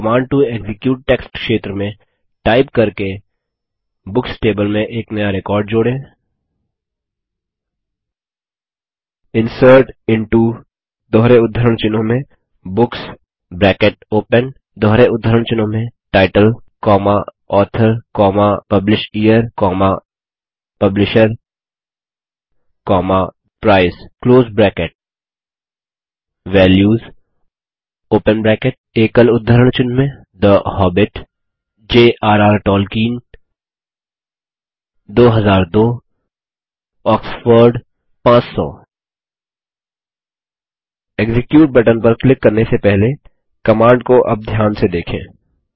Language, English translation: Hindi, Let us insert a new record into the Books table by typing, in the Command to execute text area: INSERT INTO Books ( Title, Author, PublishYear, Publisher, Price) VALUES (The Hobbit, J.R.R Tolkien, 2002, Oxford, 500) Before clicking on the Execute button, let us look at the command closely now